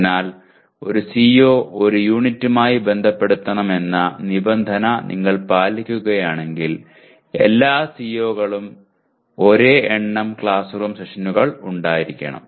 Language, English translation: Malayalam, So if you go by the by requirement that one CO is to be associated with one unit then all COs are required to have the same number of classroom sessions